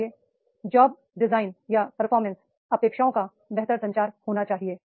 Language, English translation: Hindi, So therefore that job design or a better communication of performance expectations is to be there